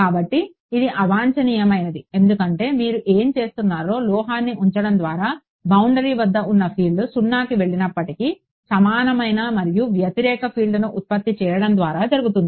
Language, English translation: Telugu, So, it is undesirable because by putting a metal what you doing, even though the field at the boundary is going to 0 the way does it is by generating an equal and opposite field